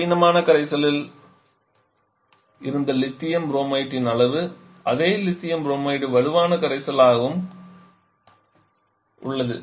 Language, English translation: Tamil, The amount of lithium Bromide that was there in the resolution the same Lithium Bromide remains strong solution as well